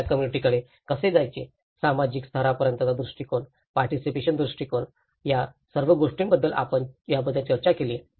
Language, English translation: Marathi, How to approach a community, the social level approaches, participatory approaches, all these we did discussed about it